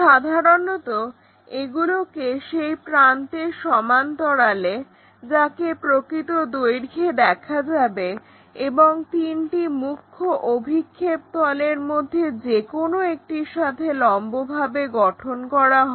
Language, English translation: Bengali, Usually, these are constructed parallel to the edge which is to be shown in true length and perpendicular to any of the three principle projection planes